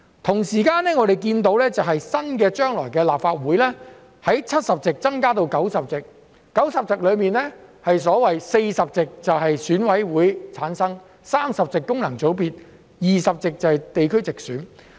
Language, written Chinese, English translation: Cantonese, 同時，我們看到，將來新一屆的立法會由70席增加至90席，而在90席中有40席由選委會產生 ，30 席是功能界別 ，20 席是地區直選。, At the same time we can see that the number of seats in the new Legislative Council will increase from 70 to 90 with 40 of the 90 seats to be returned by EC 30 by functional constituencies and 20 by geographical direct elections